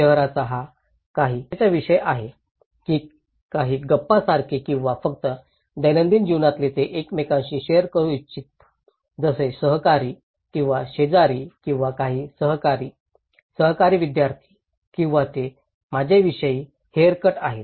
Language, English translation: Marathi, Is it kind of some hot topic of the town like some gossip or just day to day life they want to share with each other like the colleagues or the neighbours or some co workers, co students they do or is it about my haircut